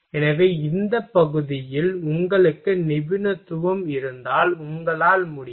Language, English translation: Tamil, So, that you can if you have a expertise in this area